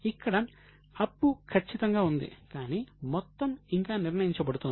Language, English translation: Telugu, Now, the liability is there is certain, but the amount is still being decided